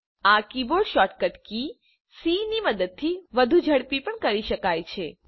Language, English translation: Gujarati, This can also be done more quickly using the keyboard shortcut c